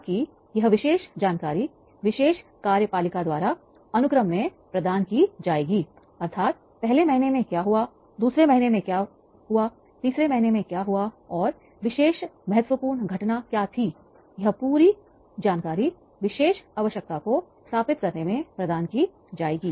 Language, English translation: Hindi, So, that particular information will be provided in the sequence wise, that particular executive that is what happened, the first month what happened, second month was happened, third month was happened, what were the important events on which that particular important event and this full information that will be provided in the establishing that particular needs is there